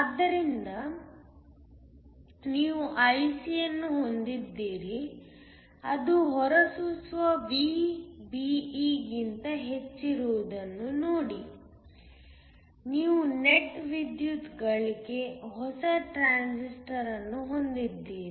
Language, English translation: Kannada, So you have IC, see that is greater than the emitter VBE so, you have a net power gain, new transistor